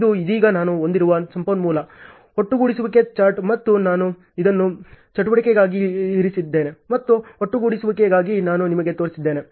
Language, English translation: Kannada, This is a resource aggregation chart I have right now and I have placed this for activity as well as I showed you for the aggregation also ok